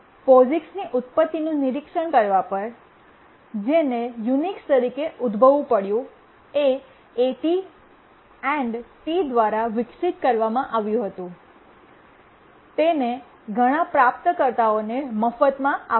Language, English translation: Gujarati, If we look at the origin of POGICS, it had to arise because Unix once it was developed by AT&T, it gave it free to many recipients